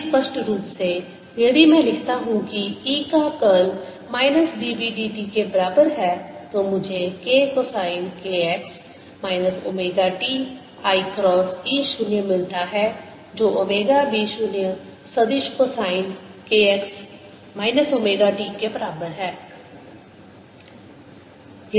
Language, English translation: Hindi, similarly, minus d b by d t is going to be equal to b zero vector d by d t of sine k x minus omega t, with a minus sign in front, and this is going to become then plus omega b zero vector cosine of k x minus omega t